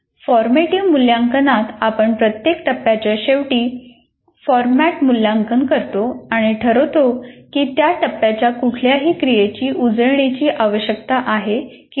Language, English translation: Marathi, In formative evaluation, we undertake the formative evaluation at the end of every phase to decide whether any revisions are necessary to the activities of that phase